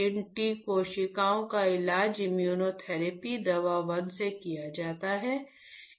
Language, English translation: Hindi, These T cells are treated with immunotherapy drug 1